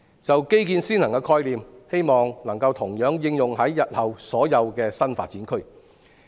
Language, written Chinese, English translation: Cantonese, 就"基建先行"的概念，希望能同樣應用於日後所有新發展區。, I hope that this concept of infrastructure before population intake will be applicable to all new development districts in future